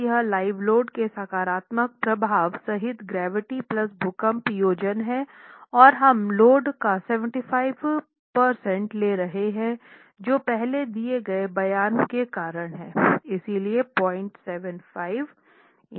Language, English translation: Hindi, So, it's the gravity plus earthquake combination including the positive effect of live load and we are taking 75% of the load because of the statement that I made earlier